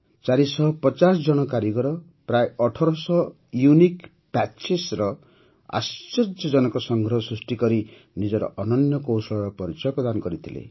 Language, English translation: Odia, 450 artisans have showcased their skill and craftsmanship by creating an amazing collection of around 1800 Unique Patches